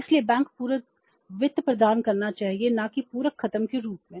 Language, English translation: Hindi, So, banks should be providing the supplementary finance not as the complementary finance